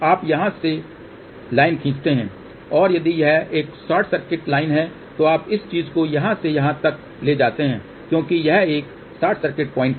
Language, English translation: Hindi, You draw the line from here and if it is a short circuit line you take this thing from here to this because this is a short circuit point